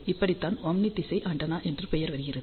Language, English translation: Tamil, This is the radiation pattern of omni directional antenna